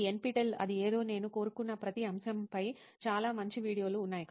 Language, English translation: Telugu, This NPTEL, that is something, they have a lot of good videos on every topic I wanted